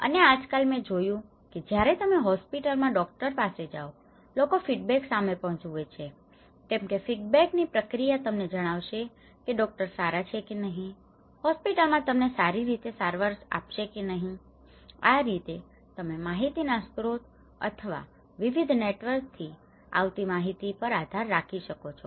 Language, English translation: Gujarati, And nowadays, I have seen even when you go to your doctor to hospital, people are also looking at the feedback because that feedback process was telling you whether it is a good doctor whether the hospital is treating well or not so, this is how you know we are relying on a source of informations or a tacts of information coming from different networks